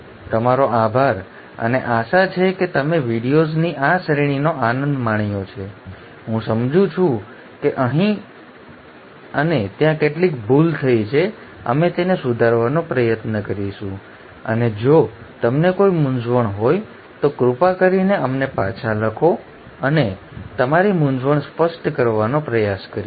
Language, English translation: Gujarati, So thank you and hopefully you have enjoyed this series of videos; I do understand there have been a few mistakes here and there, we will try to correct them and if you have any confusions please write back to us and we will try to clarify your confusions